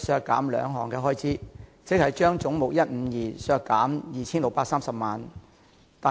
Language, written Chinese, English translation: Cantonese, 該項修正案議決將總目152削減 2,630 萬元。, 53 Resolved that head 152 be reduced by 26,300,000 in respect of subhead 000